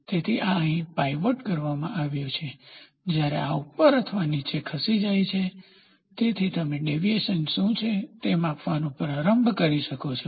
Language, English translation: Gujarati, So, this is pivoted here, when this fellow moves up or down, so you can start measuring what is a deviation